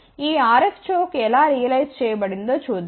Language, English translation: Telugu, Let us see how this RF choke has been realized